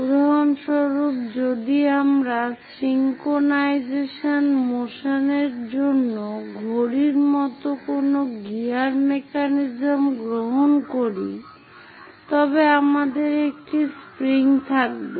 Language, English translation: Bengali, For example, if we are taking any gear mechanisms like watch to have the synchronization motion, we have a spring